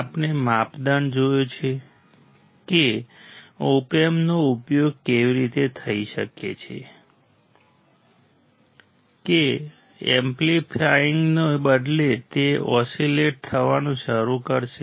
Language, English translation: Gujarati, We have seen the criteria that Op amp can be used in such a way that instead of amplifying, it will start oscillating